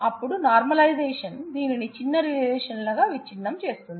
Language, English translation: Telugu, And then normalization will break them into smaller relations